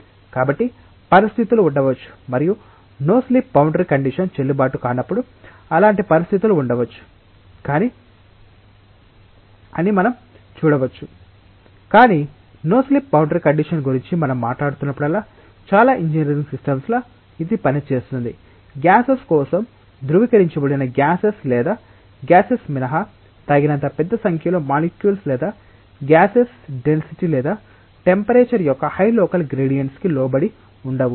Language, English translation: Telugu, So, we can see that there may be situations and there are likely to be such situations when the no slip boundary condition is not valid, but well in most of the engineering systems that we are talking about the no slip boundary condition will work for gases, except for rarified gases or maybe gases, which are not having sufficiently large number of molecules or gases being subjected to very high local gradients of density or temperature